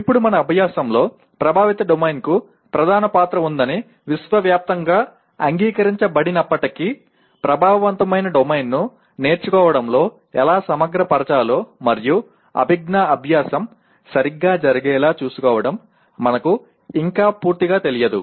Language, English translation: Telugu, Now, in this while it is universally acknowledged that affective domain has a major role to play in our learning but, we still do not know completely how to integrate the affective domain into learning and make sure that the cognitive learning takes place properly